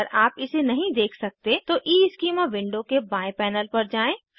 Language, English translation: Hindi, If you do not see it, go to the left panel of EESchema window